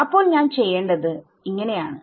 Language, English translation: Malayalam, So, what should I do